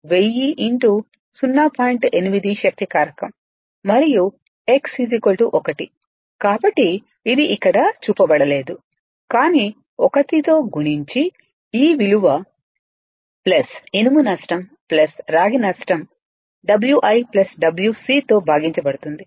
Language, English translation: Telugu, 8 power factor and x is 1, so it is not shown in here, but multiplied by 1 right, they are divided by the same value plus iron loss plus your copper loss W i plus W c